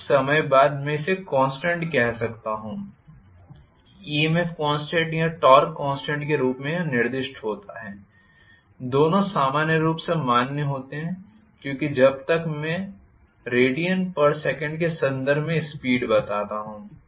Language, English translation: Hindi, So I can call this sometime this constant is specified as EMF constant or torque constant both are equally valid because as long as I tell the speed omega in terms of radians per second